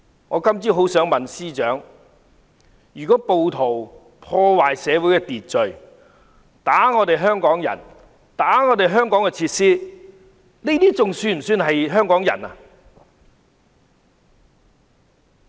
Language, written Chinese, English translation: Cantonese, 我今天早上很想問司長，如果暴徒破壞社會秩序、打香港人、打爛香港設施，這還算是香港人嗎？, In this morning I want very much to ask the Chief Secretary this question . If the rioters disrupt social order hit Hong Kong people and smash facilities in Hong Kong are they still qualified to be Hong Kong people?